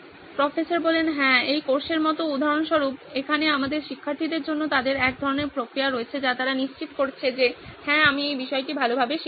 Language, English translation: Bengali, Yeah, like this course for example, for our students here they have a sort of mechanism that they are making sure that yes, I have learnt this topic well